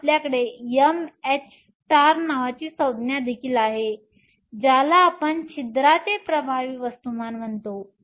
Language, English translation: Marathi, So, we also have a term called m h star which we call effective mass of the hole